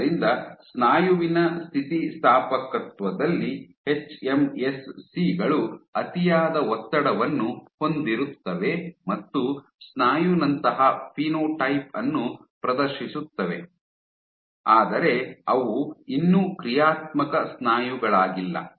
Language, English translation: Kannada, So, on muscle elasticity hMSCs over expressed muscle like exhibit a muscle like phenotype, but they are not yet functional muscle